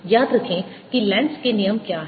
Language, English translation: Hindi, remember what is lenz's law